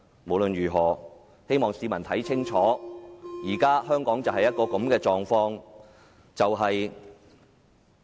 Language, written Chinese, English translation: Cantonese, 不論怎樣，我希望市民看清楚香港現時的情況。, Nevertheless I hope members of the public will see clearly the current situation in Hong Kong